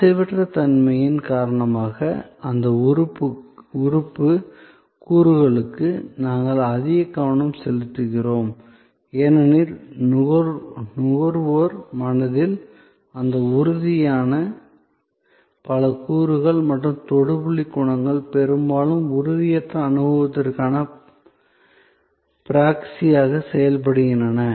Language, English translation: Tamil, And because of the intangibility, we pay a lot of a attention to those tangible elements, because in the consumer’s mind, many of those tangible elements and the touch point qualities often act as a proxy for the intangible experience